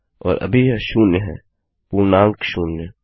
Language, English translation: Hindi, And right now its zero the integer zero